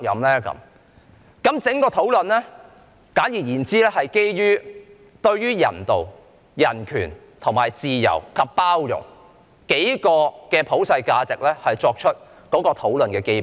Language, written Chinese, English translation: Cantonese, 簡而言之，在整個討論中，我們是基於人道、人權、自由及包容等數個普世價值為討論的基本。, In short our whole discussion is based on several universal values such as humanity human rights freedom and tolerance